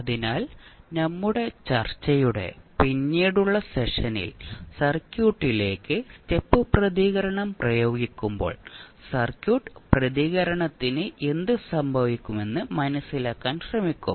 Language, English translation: Malayalam, So, in the later session of our discussion we will try to understand that what will happen to the circuit response when you apply step response to the circuit